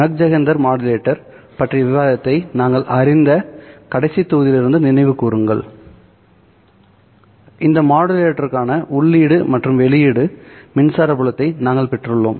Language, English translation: Tamil, If you recall from the last module where we stopped discussion on the MagSenter modulator, we derived the input and output electric fields for this modulator